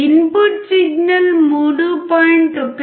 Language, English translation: Telugu, If the input signal is 3